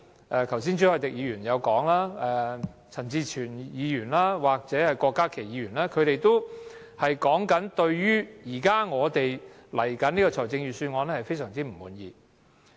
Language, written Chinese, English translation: Cantonese, 剛才朱凱廸議員、陳志全議員及郭家麒議員也表達了我們對新的預算案非常不滿。, Mr CHU Hoi - dick Mr CHAN Chi - chuen and Dr KWOK Ka - ki have expressed our dissatisfaction with the new Budget